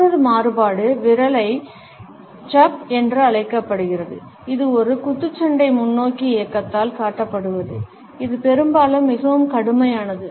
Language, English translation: Tamil, Another variation is known as the finger jab, which is displayed by a stabbing forward motion, which is often pretty fierce